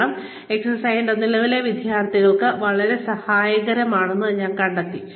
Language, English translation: Malayalam, Because, I found this exercise, to be very helpful, for my current students